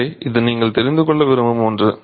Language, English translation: Tamil, So, this is something you might want to know